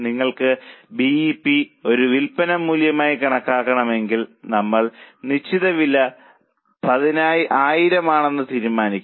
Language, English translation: Malayalam, If you want to calculate BEP as a sales value, we had assumed fixed cost of 1,000